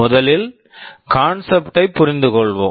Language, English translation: Tamil, Let us understand first the concept